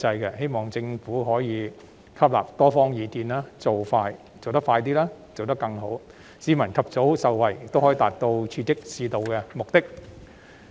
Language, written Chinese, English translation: Cantonese, 我希望政府可以吸納多方意見，做得快一點，亦要做得更好，既能讓市民及早受惠，亦可達到刺激市道的目的。, I hope that the Government can take views from different parties act swiftly and efficiently so that not only members of the public can benefit earlier but can also achieve the purpose of stimulating the market